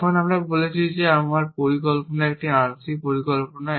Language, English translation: Bengali, Now I have said that my plan is a partial plan